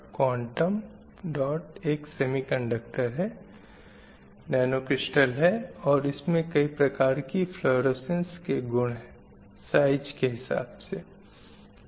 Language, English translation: Hindi, The quantum dots are semi conducted nanocrystals and it will have a different kind of fluorescence properties with respect to size